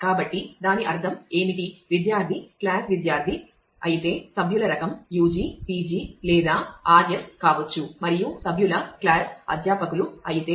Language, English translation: Telugu, So, what it will mean that the; if the student class is student then the member type could be u g, p g or r s and if the member class is faculty